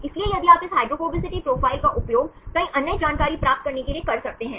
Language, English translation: Hindi, So, if you can use this hydrophobicity profiles to get several other information